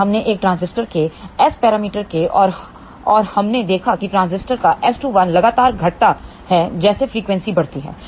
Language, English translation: Hindi, Then we look at S parameters of a transistor and we noticed that S 2 1 of the transistor keeps on decreasing as frequency increases